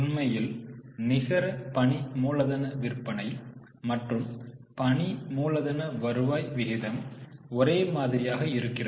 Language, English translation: Tamil, Actually, net working capital two sales and working capital turnover ratio is showing the same thing